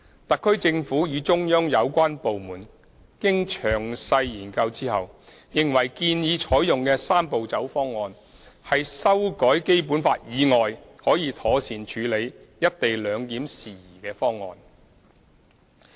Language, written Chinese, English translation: Cantonese, 特區政府與中央有關部門經詳細研究後，認為建議採用的"三步走"方案，是修改《基本法》以外可以妥善處理"一地兩檢"事宜的方案。, Having studied the matter in detail the HKSAR Government and the relevant central authorities were of the view that the proposed Three - step Process an approach other than amending the Basic Law can appropriately implement the co - location arrangement